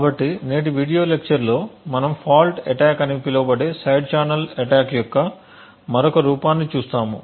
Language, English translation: Telugu, So, in today’s video lecture we will be looking at another form of side channel attack known as a fault attack